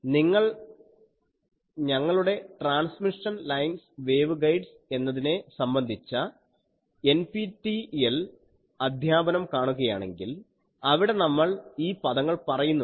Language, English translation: Malayalam, You will see your you can see our NPTEL lecture on transmission lines wave guides, there we have already found these terms